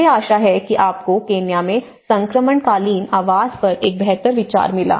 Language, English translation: Hindi, I hope you got a better idea on transitional housing in Kenya